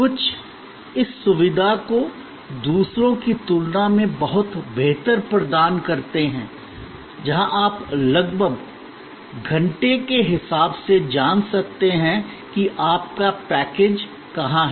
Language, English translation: Hindi, Some provide this facility much better than others, where you can know almost hour by hour where your package is